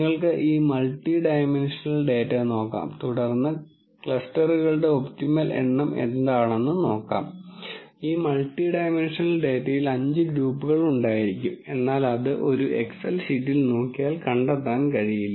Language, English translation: Malayalam, And you can look at this multi dimensional data and then look at what is the optimum number of clusters, maybe there are 5 groups in this multi dimensional data which would be impossible to find out by just looking at an excel sheet